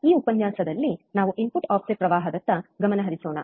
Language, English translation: Kannada, This lecture let us concentrate on input offset current